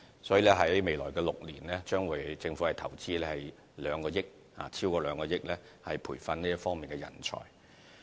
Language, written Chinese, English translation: Cantonese, 所以，在未來6年，政府將會投資超過2億元，以培訓這方面的人才。, Hence the Government will inject over 200 million in the coming six years for training the talents in this area